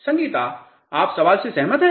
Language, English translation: Hindi, Sangeetha, you agree with the question